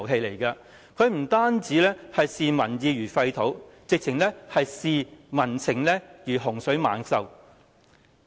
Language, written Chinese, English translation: Cantonese, 它不單視民意如糞土，簡直視民情如洪水猛獸。, It does not only consider public opinions worthless they utterly consider popular sentiments great scourges